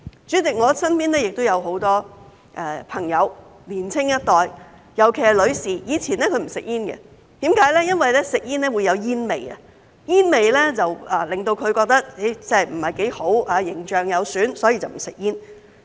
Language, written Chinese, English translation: Cantonese, 主席，我身邊亦有很多朋友、年青一代，尤其是女士，以前她不吸煙，因為吸煙會有煙味，她覺得不太好、有損形象，所以不吸煙。, President many friends and young people around me particularly ladies did not smoke in the past . A friend considers smoking undesirable as it will release a tobacco smell and spoil her image so she did not smoke